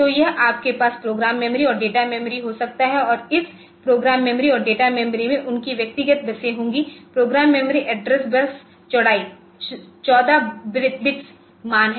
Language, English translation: Hindi, So, it is connected to you can have program memory and data memory and this program memory and data memory they will have their individual buses, the program memory address bus and data bus and flow data memory program is bus and data bus